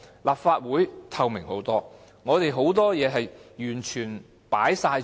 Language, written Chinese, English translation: Cantonese, 立法會透明得多，我們很多事情完全向公眾開放。, The Legislative Council is much more transparent . A lot of our business is completely open to the public